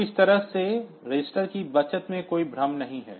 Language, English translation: Hindi, So, that way there is no confusion in the saving of registers